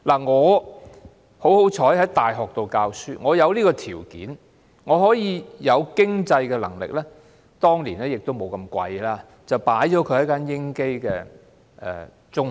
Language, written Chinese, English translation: Cantonese, 我有幸在大學教書，因而有條件和經濟能力——當年學費也沒有這麼貴——為他報讀英基中學。, Fortunately since I was teaching in a university I had the ability and financial means to enrol him in an ESF school the school fee of which back then was not as high as it is nowadays